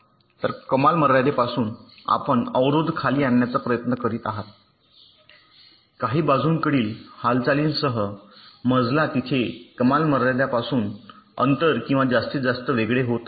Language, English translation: Marathi, so from the ceiling, you are trying to bring the blocks down towards the floor with some lateral movement where the distance or separation from the ceiling becomes maximum